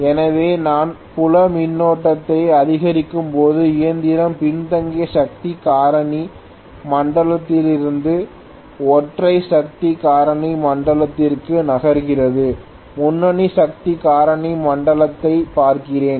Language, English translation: Tamil, So as I increase the field current the machine moved from lagging power factor zone to unity power factor zone, let me look at the leading power factor zone as well